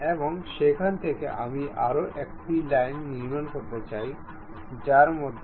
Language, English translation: Bengali, And from there I would like to construct one more line passing through that and tangent to this line